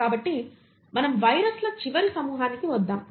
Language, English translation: Telugu, So then let us come to one last group which is the viruses